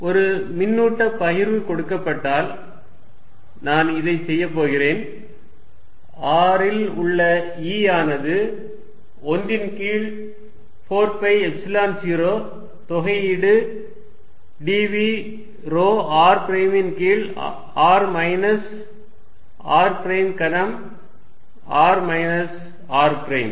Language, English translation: Tamil, One is obviously going to say that given a charge distribution, I am just going to do this E at r is going to be 1 over 4 pi Epsilon 0 integration dv rho r prime over r minus r prime r minus r prime cubed here